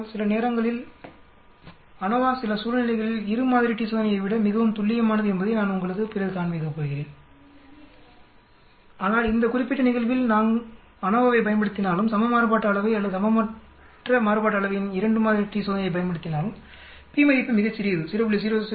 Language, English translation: Tamil, But I am later on going to show you that sometimes ANOVA is much more accurate in some situations then 2 sample t test but this particular problem in whether use ANOVA whether we use 2 sample t test of equal variance or unequal variance we see that p value is very, very small 0